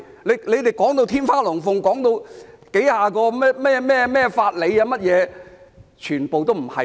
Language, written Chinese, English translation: Cantonese, 他們說到天花龍鳳，提到數十個甚麼法理，完全不是那回事。, They uttered a bunch of bull mentioned dozens of so - called jurisprudence but that is completely irrelevant